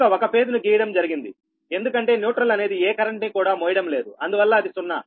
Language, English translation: Telugu, so thats why only phase is drawn, because neutral is not carrying any current zero, so z